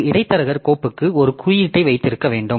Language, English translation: Tamil, And intermediary is to have an index for the file